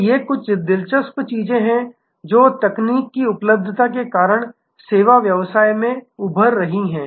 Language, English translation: Hindi, So, these are some interesting things that are emerging in the service business, because of technology availability